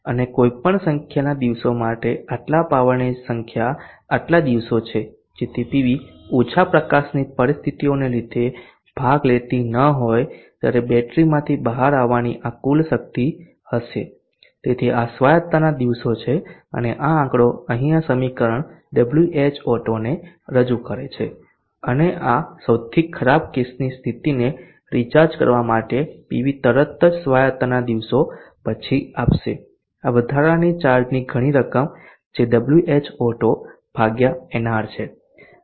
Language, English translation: Gujarati, And this much amount of the power for any number of days so many number of days so this would be the total power that has to come out of the battery when the PV is not participating due to poor light conditions so these are the days of autonomy and this figure here this equation here represents WH Auto and for recharging the worst case condition is apart from this the PV has to give immediately following the days of autonomy